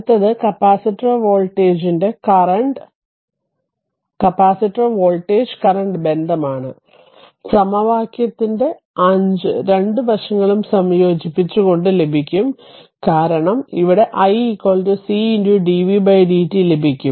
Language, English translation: Malayalam, So, next is that next is the voltage current relationship the capacitor can be obtain by integrating both sides of equation 5 we will get, because here we know that i is equal to c into dv by dt right ah